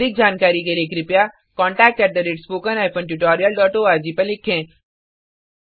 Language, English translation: Hindi, For more details, please write to spoken HYPHEN tutorial DOT org